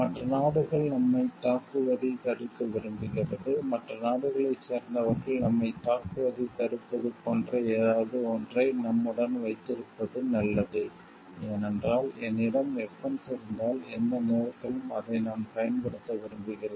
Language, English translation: Tamil, Likes to stop other countries from attacking us, it is better to have some something with us which like stops other people from countries from attacking us, because they know if I have the weapons I can like use it at any point of time